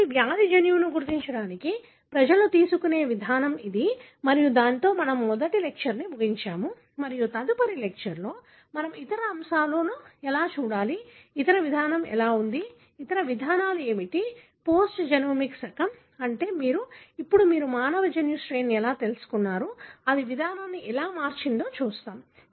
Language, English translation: Telugu, So, this is the approach people take to identify the disease gene and with that we will end the first lecture and in the next lectures we are going to look into the other aspects like, how the other approach, what are the other approaches because of the post genomic era, meaning you are, you now know the human genome sequence, how that has changed the approach